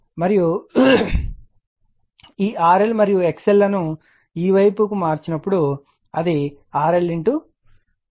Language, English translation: Telugu, And when you transform this R L and X L to this side it will be thenyour R L into your K square